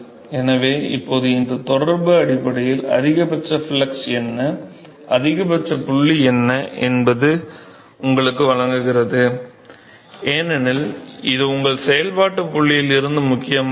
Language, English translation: Tamil, So, now, this correlation essentially gives you what is the maximum flux, what is the maximum point, because that is what is a important for from operation point of you